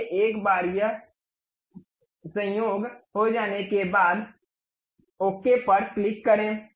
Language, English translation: Hindi, So, once this coincident is done, click ok